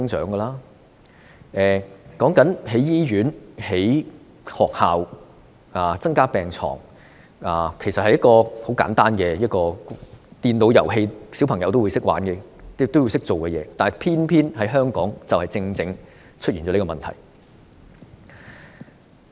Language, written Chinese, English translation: Cantonese, 人口增長，便要興建醫院、興建學校和增加病床，這是很簡單的的規則，連小朋友也會明白，但偏偏香港正出現這個問題。, With the growth in population there is a need to construct hospitals schools and increase the number of hospital beds . This is a very simple rule that even a child will know but this is precisely the question that Hong Kong is facing